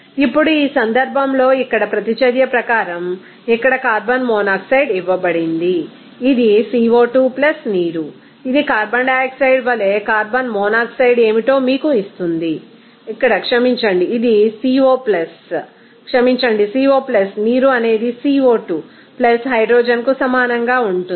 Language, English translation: Telugu, Now, in this case here as per reaction here what is the reaction equation is given carbon monoxide here, this is CO2 + water that will be giving you what is that carbon monoxide as carbon dioxide here sorry, this is Co + sorry, Co + water that will be equal to CO2 + hydrogen